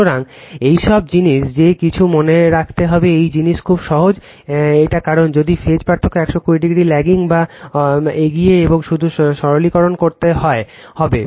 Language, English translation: Bengali, So, this all the thing is that you have to remember nothing to be this thing very simple it is right because, if phase difference is that 120 degree lagging or leading right and just you have to simplify